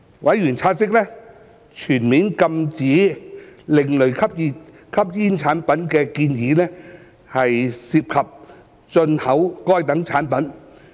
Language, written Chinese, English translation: Cantonese, 委員察悉，全面禁止另類吸煙產品的建議涉及禁止進口該等產品。, Members have noted that the proposed full ban of ASPs involves the prohibition of such products